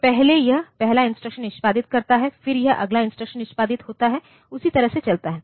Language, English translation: Hindi, So, first it being the first instruction executes it then it plays the next instruction execution that way it goes on